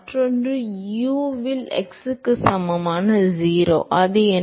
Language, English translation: Tamil, And the other one is u at x equal to 0 what is it